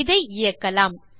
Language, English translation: Tamil, Lets run this